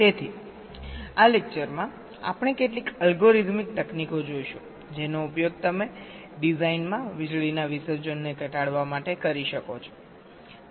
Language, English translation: Gujarati, so in this lecture we shall be looking at some of the algorithmic techniques that you can use to reduce the power dissipation in a design